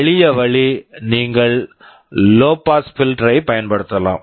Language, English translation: Tamil, The simplest way is you can use a low pass filter